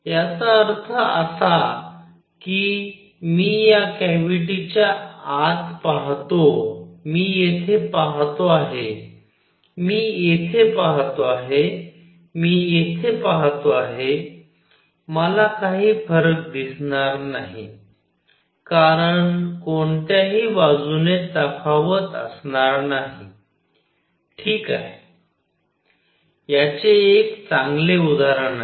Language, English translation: Marathi, That means whether I look inside this cavity, whether I see here, whether I see here, whether I see here, I will not see any difference because there will be no contrast from any side coming, alright, a good example of this